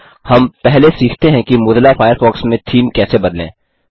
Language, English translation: Hindi, Let us first learn how to change the Theme of Mozilla Firefox